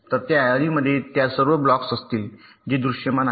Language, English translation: Marathi, so that ceiling, that list, will contain all those blocks which are visible